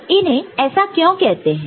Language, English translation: Hindi, What why are they called so